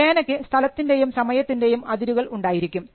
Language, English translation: Malayalam, Take a pen for instance, the pen has a boundary in time and space